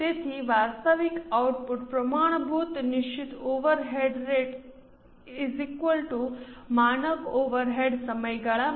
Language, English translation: Gujarati, So, actual output into standard fixed overhead rate gives you the standard overhead for the period